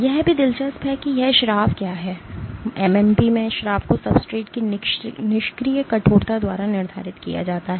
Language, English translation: Hindi, What is also interesting is that this secretion; this secretion of MMP is dictated by the passive stiffness of the substrate